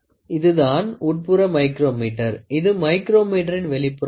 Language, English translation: Tamil, This is the inside micrometer